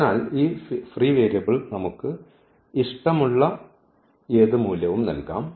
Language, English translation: Malayalam, So, this is what we call the free variable and this free variable we can assign any value we like